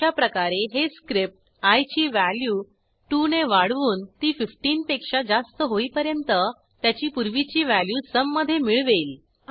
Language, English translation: Marathi, In the same way, the script will continue to add 2 to the previous value of i, till it exceeds 15